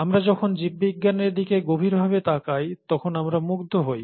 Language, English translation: Bengali, We are fascinated about when we look closer at biology